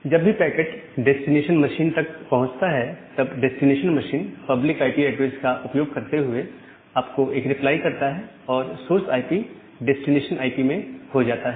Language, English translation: Hindi, And whenever the packet reaches to the destination machine, the destination machine reply back to you by using that public IP address; the source IP now become the destination IP